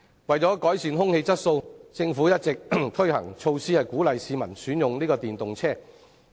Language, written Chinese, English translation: Cantonese, 為改善空氣質素，政府一直推行措施，鼓勵市民選用電動車輛。, To improve air quality the Government has been implementing measures to encourage the public to use electric vehicles